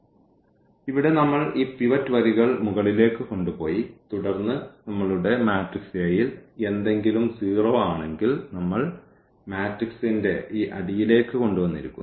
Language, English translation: Malayalam, So, here we have taken these pivot rows to the to the up and then if something is 0 here in our matrix A that we have brought down to this bottom of the matrix